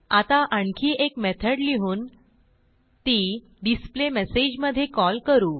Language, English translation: Marathi, Now we will write another method and call this methd in displayMessage